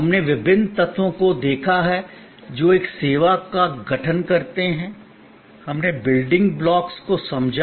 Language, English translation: Hindi, We have looked at different elements that constitute a service, we understood the building blocks